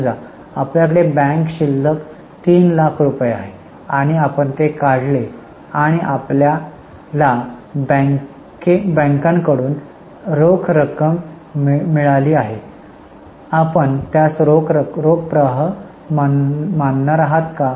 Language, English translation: Marathi, Suppose we are having 3 lakh rupees in bank balance and we withdraw it and we receive cash from bank